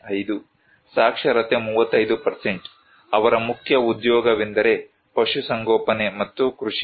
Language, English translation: Kannada, 5, literacy was 35%, their main occupation is animal husbandry and agriculture